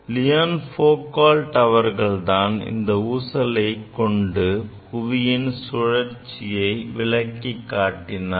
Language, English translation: Tamil, Basically Leon Foucault he demonstrated that this pendulum can be used to demonstrate the earth rotation, ok